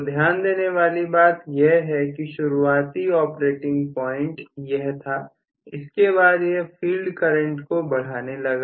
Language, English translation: Hindi, So, please note the initial operating point was this from that it went to a higher field current